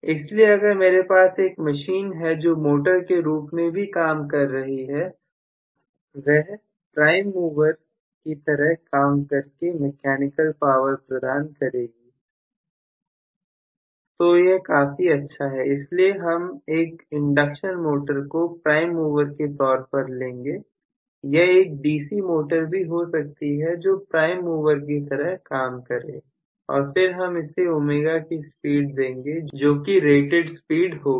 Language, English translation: Hindi, So, if I have one of the machines even working as a motor, as a prime mover which is imparting mechanical power it is good enough, so I am going to have may be an induction motor working as a prime mover, may be a DC motor working as a prime mover, and then I am going to give a speed of ω which will be rated speed